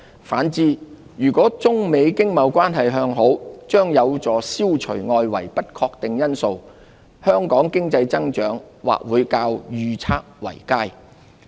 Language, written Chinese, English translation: Cantonese, 反之，如果中美經貿關係向好，將有助消除外圍的不確定性，香港經濟增長或會較預測為佳。, On the contrary improving the United States - China trade relations will help eliminate external uncertainties and may drive better - than - forecast growth for Hong Kongs economy